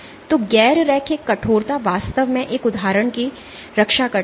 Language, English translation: Hindi, So, non linear stiffening really protects an instance